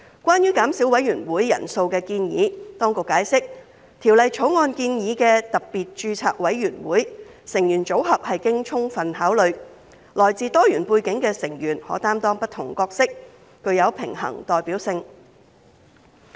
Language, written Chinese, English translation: Cantonese, 關於減少委員會人數的建議，當局解釋《條例草案》建議的特別註冊委員會成員組合是經充分考慮，來自多元背景的成員可擔當不同角色，具有平衡代表性。, Regarding the proposed reduction of the SRCs membership size the Government has explained that the SRC membership proposed in the Bill is determined after thorough consideration and each of SRC members will assume different roles to provide a balanced mix with diverse background